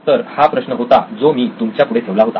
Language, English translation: Marathi, So that’s the problem that I posed to you